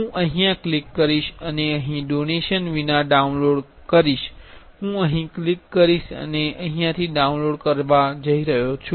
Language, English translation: Gujarati, I will click here, and here there is a download without donation, I will click here and I will download here